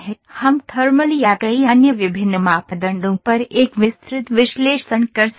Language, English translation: Hindi, We can conduct a detailed analysis on thermal or on many other different parameters